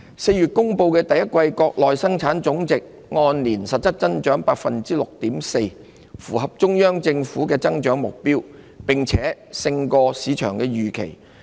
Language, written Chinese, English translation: Cantonese, 4月公布的第一季國內生產總值按年實質增長 6.4%， 符合中央政府的增長目標，並勝於市場預期。, As announced in April the Gross Domestic Product GDP in the first quarter grew by 6.4 % in real terms over a year earlier meeting the growth target of the Central Government and beating market expectations